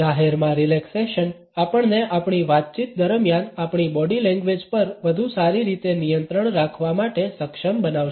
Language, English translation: Gujarati, Relaxation in public would also enable us to have a better control on our body language during our interaction